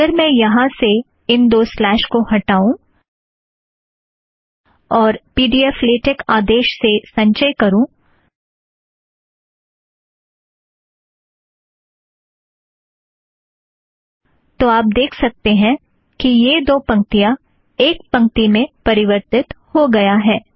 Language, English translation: Hindi, If I remove the double slashes from here – save, compile using pdflatex – you can see that these two lines get merged in one line